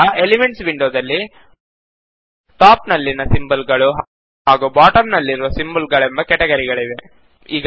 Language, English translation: Kannada, Now the elements window has categories of symbols on the top and symbols at the bottom